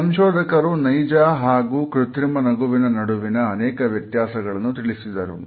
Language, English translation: Kannada, They further described the difference between the genuine and fake smiles